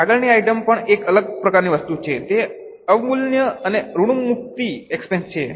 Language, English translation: Gujarati, The next item is also a different type of item that is depreciation and amortization expense